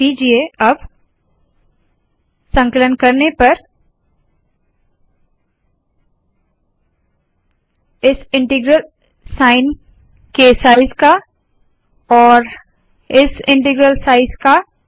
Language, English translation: Hindi, Note the size of this integral size and this integral